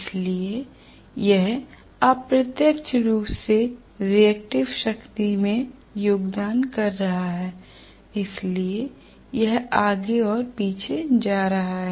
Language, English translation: Hindi, So that is indirectly contributing to the reactive power so it is going back and forth